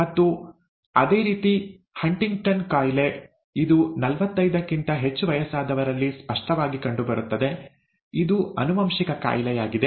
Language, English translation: Kannada, And similarly, Huntington’s disease, which actually manifests above forty five, is a genetic disorder